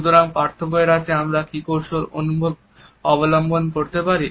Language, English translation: Bengali, So, what strategies we can adopt to avoid distinction